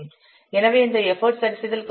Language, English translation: Tamil, So the value of this effort adjustment factor will be multiplied with 32